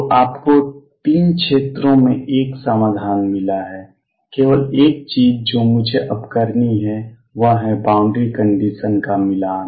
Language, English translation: Hindi, So, you found solution in 3 regions the only thing I have to now do is do the boundary condition matching